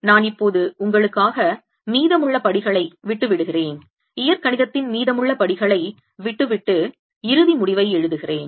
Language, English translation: Tamil, i'll now leave the rest of the steps for you, rest of the steps of algebra, and write the final result